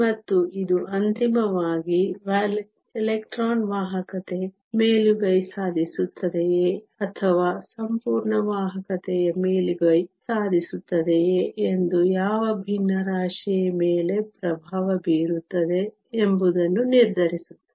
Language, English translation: Kannada, And this ultimately determines what fraction dominates whether the electron conductivity dominates or the whole conductivity dominates